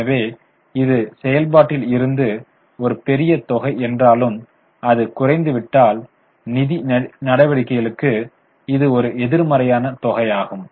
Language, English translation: Tamil, So, this is a large amount in from operations though it has come down whereas the financing activities it is a negative amount